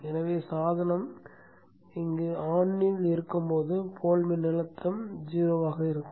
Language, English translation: Tamil, So when the device is on, the pole voltage here will be zero